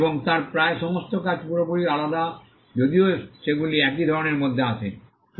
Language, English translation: Bengali, And almost all her works are entirely different though they all fall within the same genre